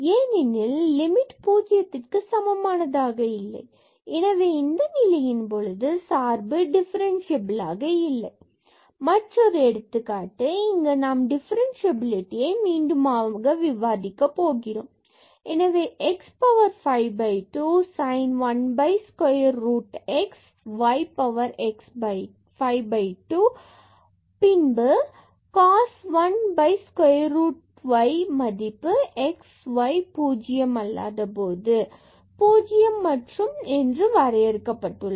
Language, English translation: Tamil, Another example which discuss the differentiability again at the origin of this function: so, x power 5 by 2 and the sin 1 over square root x plus y 5 by 2 and then we have cos 1 over square root y and this is defined for x not equal to 0 and y not equal to 0 and this is 0 elsewhere